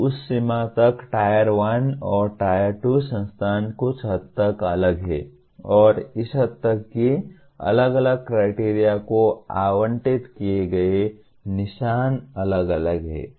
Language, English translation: Hindi, So to that extent Tier 1 and Tier 2 institutions are somewhat different and to that extent the marks that are allocated to different criteria, they are different